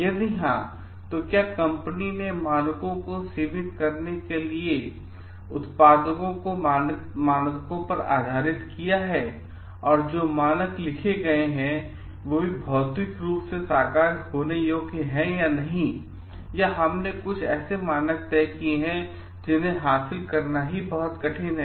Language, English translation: Hindi, If yes, then whether the company has produced the like products as per their limiting the standards on codes, and the standards that are written also are it like physically realizable or not or we have set some standards which is very hard to achieve